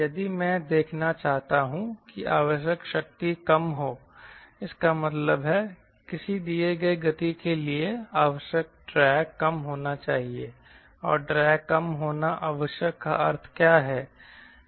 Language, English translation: Hindi, if i want to see the power required is less, that means a drag required for a given speed should be less